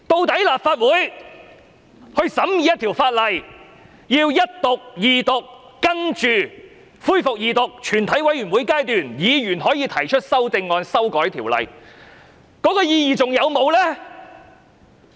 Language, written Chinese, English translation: Cantonese, 立法會審議法案，需經首讀、二讀、全體委員會審議階段，議員可提出修正案修改法案的意義還存在嗎？, A bill scrutinized by the Council must undergo First Reading Second Reading and Committee stage . Is it still meaningful for a Member to propose amendments to amend a bill?